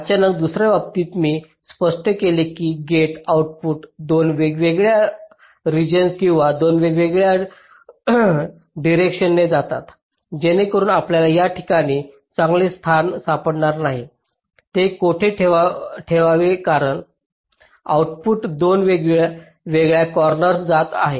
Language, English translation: Marathi, suddenly, if in the other case i just explained, that will be gates output goes to two different regions or two different directions, so that you cannot find out a good placement of these gate, where to place it, because the outputs are going into two different corners of the chip